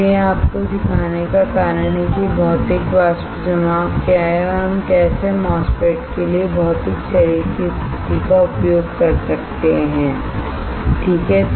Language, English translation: Hindi, So, that is the reason of teaching you what is Physical Vapor Deposition and how we can how we can use the physical body position for MOSFETs alright